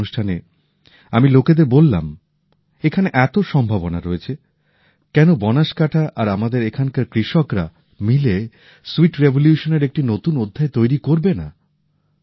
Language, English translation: Bengali, In that programme, I had told the people that there were so many possibilities here… why not Banaskantha and the farmers here write a new chapter of the sweet revolution